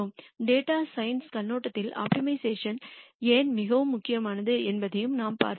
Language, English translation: Tamil, And we also looked at why optimization is very important from a data science viewpoint